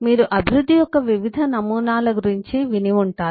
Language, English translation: Telugu, you must have heard about different paradigms of development